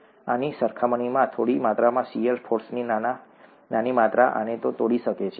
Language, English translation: Gujarati, A small amount of, smaller amount of shear force can tear this apart compared to this, okay